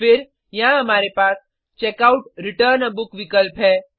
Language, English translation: Hindi, Then, here we have the option to Checkout/Return a Book